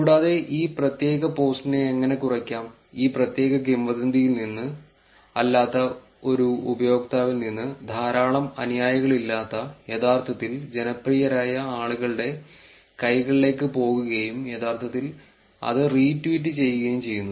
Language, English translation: Malayalam, Also how to actually reduce this particular post, from this particular rumour, from a user who is not, who does not have a large number of followers, going into the hands of people who are actually popular and actually retweeting that